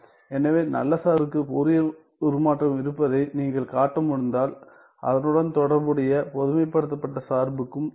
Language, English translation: Tamil, So, if you are able show that the Fourier transform of the good function exists then the corresponding generalized function also exists